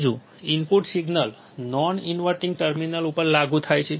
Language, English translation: Gujarati, Third, the input signal is applied to the non inverting terminal